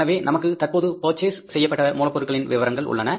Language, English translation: Tamil, So we are this the current raw material which is purchased